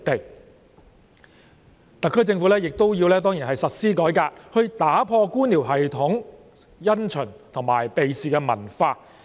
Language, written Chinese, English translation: Cantonese, 當然特區政府亦要實施改革，打破官僚系統的因循及避事文化。, Certainly the Hong Kong SAR Government should launch reform in order to break the bureaucratic culture of procrastination and evasion of responsibilities